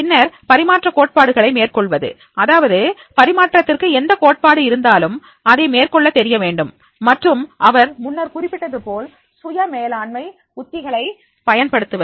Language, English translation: Tamil, Then apply theories of transfer, that is the whatever theories of transfer is there, then he should be able to apply and then use self management strategies as I mentioned earlier